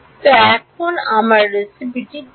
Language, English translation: Bengali, So, now, what is my recipe